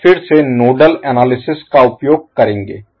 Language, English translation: Hindi, So we will again use the nodal analysis